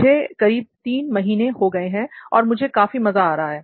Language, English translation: Hindi, So it has been three months here and I am really enjoying this course